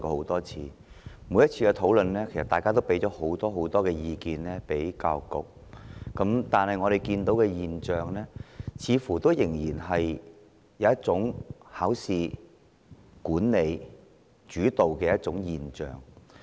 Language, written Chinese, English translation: Cantonese, 在每次的討論中，大家都向教育局提出很多意見，但我們似乎依然看見考試主導的現象。, Although we put forward a lot of opinions to the Education Bureau in each of our previous discussions it seems that the examination - oriented phenomenon is there